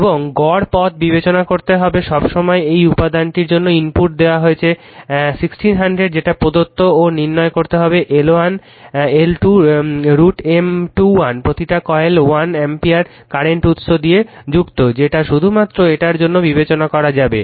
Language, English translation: Bengali, And you have to you have to consider the your mean path all the time in mu r for this one is given for this material is 1600 right it is given and you have to find out L 1, L 2, M 1 2 M 2 1 each coil is excited with 1 ampere current and each coil is excited with 1 ampere current will only considered for this one